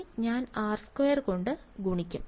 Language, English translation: Malayalam, So, I will just multiply by r square right